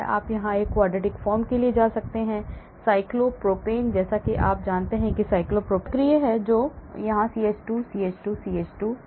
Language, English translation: Hindi, you can have even go for quartic form, cyclopropane like, as you know cyclopropane is like this right, it is cyclic you have here CH2, CH2, CH2